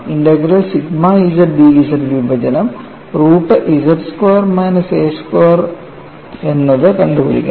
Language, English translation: Malayalam, We have to essentially get the integral sigma z d z divided by root of z squared minus a squared